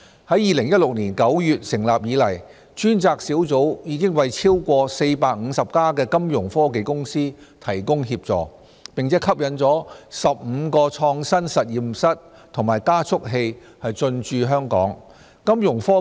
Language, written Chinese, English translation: Cantonese, 自2016年9月成立以來，專責小組已為超過450家金融科技公司提供協助，並吸引了15個創新實驗室和加速器進駐香港。, The team has rendered assistance to more than 450 Fintech companies and appealed 15 innovation laboratories and accelerators to station in Hong Kong since its establishment in September 2016